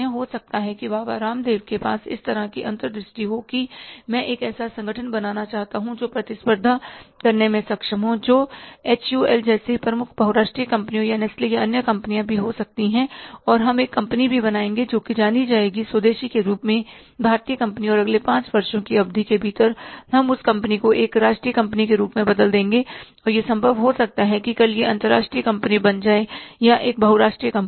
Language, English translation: Hindi, Maybe Babaram they have that kind of the insight that I want to create an organization which is able to compete with the leading multinational companies like HUL or maybe the Nestle or maybe the other companies and we would also create a company which will be known as indigenous Indian company and within a period of next five to ten years period of time we'll convert that company means a national company and it may be possible that tomorrow it becomes a international company or maybe a multinational company